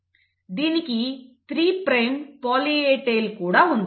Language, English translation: Telugu, It has a 3 prime poly A tail